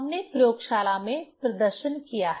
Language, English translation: Hindi, We have demonstrated in the laboratory